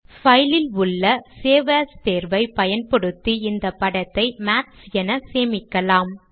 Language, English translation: Tamil, Using the save as option on file, we will save this figure as maths